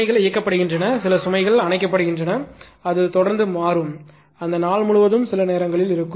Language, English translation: Tamil, Some loads are switched on, some loads are switched off it is continuously changing right, throughout that day sometimes